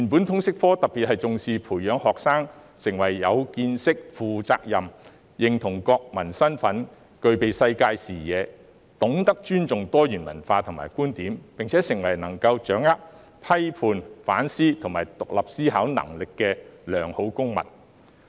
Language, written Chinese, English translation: Cantonese, 通識科原本特別重視培養學生的見識和責任感，令他們認同國民身份、具備世界視野、懂得尊重多元文化和觀點，並且成為能夠掌握批判、反思和具獨立思考能力的良好公民。, Originally the LS subject accords special emphasis on developing students knowledge and sense of responsibility so that they can identify with their national identity embrace a global perspective respect diversity in culture and views and become good citizens capable of thinking critically reflectively and independently